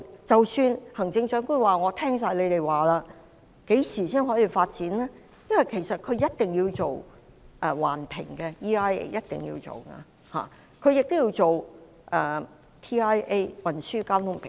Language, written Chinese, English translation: Cantonese, 即使行政長官說完全接納你們的意見，何時才可以發展呢？因為一定要做環境影響評估，亦要做運輪交通評估。, Even if the Chief Executive said that she would fully endorse your views when could it be developed given the need to do environmental and traffic impact assessments?